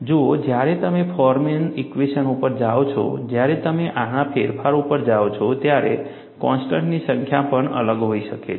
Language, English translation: Gujarati, See, when you go to Forman equation, when you go to modification of this, the number of constants also may differ